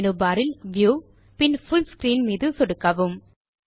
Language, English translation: Tamil, Click on the View option in the menu bar and then click on the Full Screen option